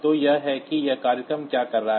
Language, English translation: Hindi, So, this is the main program